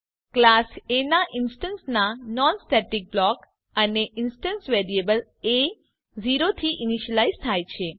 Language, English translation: Gujarati, non static block of an instance of class A and the instance variable a is initialized to 0